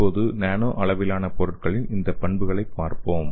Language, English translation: Tamil, So let us see these properties of nano scale materials